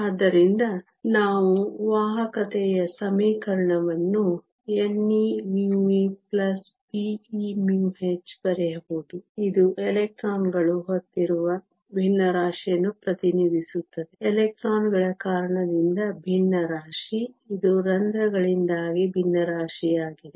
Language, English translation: Kannada, So, we can write the conductivity equation n e mu e plus p e mu h; this represent the fraction carried by the electrons fraction due to electrons; this is the fraction due to holes